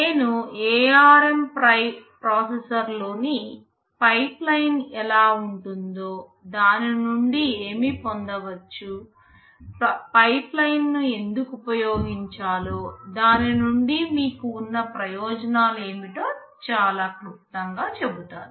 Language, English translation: Telugu, Then I shall very briefly tell how the pipeline in the ARM processor looks like, and what is expected to be gained out of it, why do use pipeline, what are the advantages that you have out of it